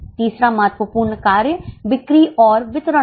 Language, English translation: Hindi, The third important function is selling and distribution